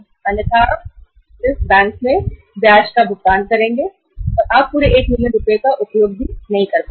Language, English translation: Hindi, Otherwise you will be paying only interest back to the bank and you may not be using the entire 1 million rupees